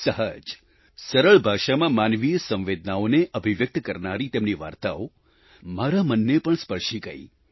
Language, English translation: Gujarati, His stories are expressions of human emotions through simple, lucid language… they have touched my heart